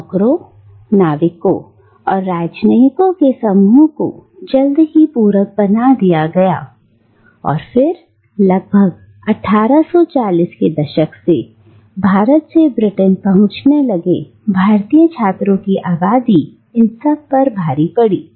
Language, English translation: Hindi, Now the group of servants, sailors, and diplomats, were soon supplemented and then almost overshadowed by the population of Indian students who started arriving in Britain from India from around the 1840’s